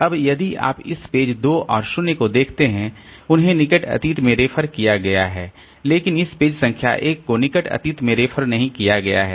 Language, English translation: Hindi, Now if you look back, these pages 2 and 0 they have been referred to in the near past but this page number 1 has not been referred to in the near past